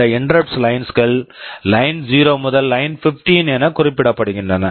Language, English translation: Tamil, These interrupt lines are referred to as Line0 up to Line15